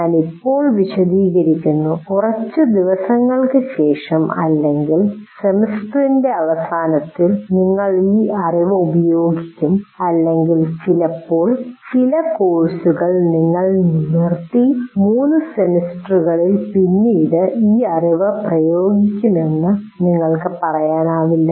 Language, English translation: Malayalam, You cannot say I'm explaining now, we'll apply this knowledge, let's say a few days later, or maybe end of the semester, or sometimes there are some courses where you stop and say, we'll apply this knowledge in a course three semesters later